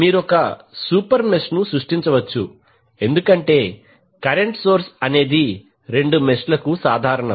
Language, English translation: Telugu, You can create super mesh because the current source is common to both of the meshes